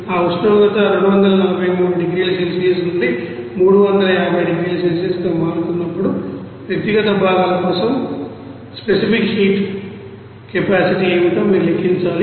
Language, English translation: Telugu, And then you have to calculate what should be the specific heat capacity for individual you know components when that you know temperature will be changing from 243 degrees Celsius to 350 degrees Celsius